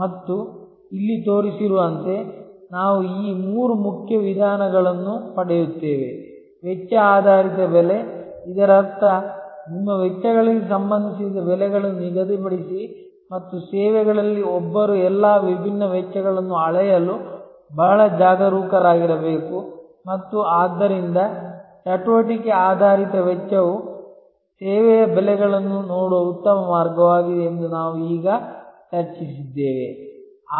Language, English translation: Kannada, And as because of that, we get these three main approaches as shown here, cost based pricing; that means, set prices related to your costs and we discussed just now that in services one has to be very careful to measure all the different costs and so activity based costing is a very good way of looking at service pricing